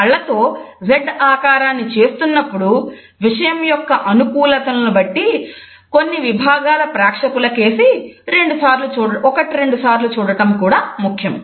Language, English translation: Telugu, While making the Z with your eyes, it is also important to look closely at certain sections of the audience once and twice varying the gaze depending on the suitability of the content